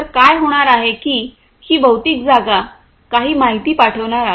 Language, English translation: Marathi, So, what is going to happen is this physical space is going to send some information